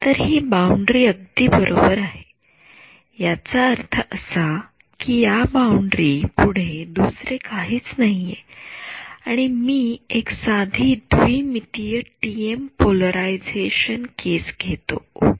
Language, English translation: Marathi, So, this is a right boundary I means there is nothing beyond this boundary and I am taking a simple 2D TM polarization case ok